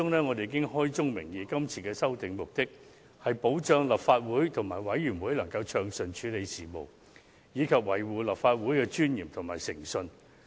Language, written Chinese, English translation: Cantonese, 我們在所提交的文件中指出，是次修訂的目的是為了保障立法會及其轄下各委員會能暢順處理事務，並維護立法會的尊嚴及誠信。, We pointed out in our submission that the purpose of amending the RoP is to ensure that the Legislative Council and its panelscommittees will be able to deal with the council business smoothly while uphold the dignity and integrity of this Council